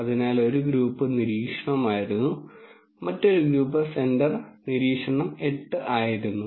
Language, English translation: Malayalam, So, the one group was observation one the other group groups centre was observation 8